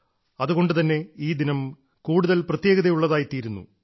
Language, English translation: Malayalam, That is why this day becomes all the more special